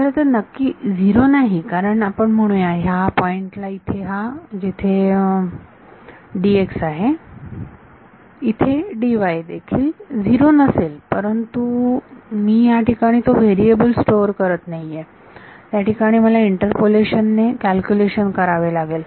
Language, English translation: Marathi, Well, not exactly 0 because let us say at this point where D x is there is also value of D y; D y is not 0 over there, but I am not storing that variable over there I will have to calculated by interpolation